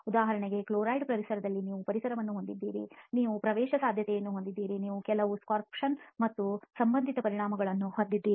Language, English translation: Kannada, For example in a chloride environment you will have diffusion, you will have permeation, you will have some sorption and associated effects